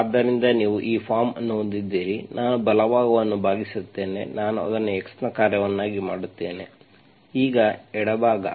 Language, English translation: Kannada, So you have this form, I divide the right hand side, I make it a function of x, now the left hand side